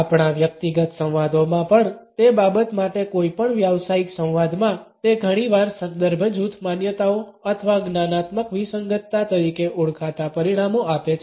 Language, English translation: Gujarati, In any professional dialogue for that matter even in our personal dialogues, it often results in what is known as reference group beliefs or cognitive dissonance